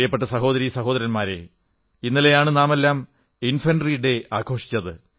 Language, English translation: Malayalam, My dear brothers & sisters, we celebrated 'Infantry Day' yesterday